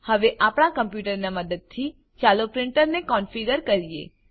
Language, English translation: Gujarati, Now, lets configure the printer using our computer